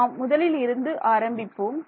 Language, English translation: Tamil, Let us start from scratch over here once again